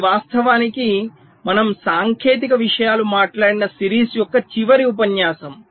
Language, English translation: Telugu, this is actually the last lecture of the series where we talked technical things